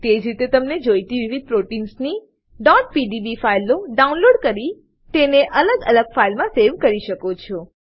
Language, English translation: Gujarati, Similarly, you can download the required .pdb files of various proteins and save them in separate files